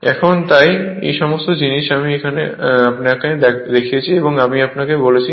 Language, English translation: Bengali, Now, so all these things I showed you and I told you right